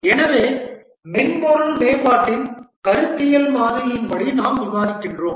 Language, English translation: Tamil, So this is according to the conceptual model of software development we are discussing